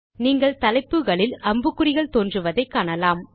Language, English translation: Tamil, You see that an arrow mark appears on the headings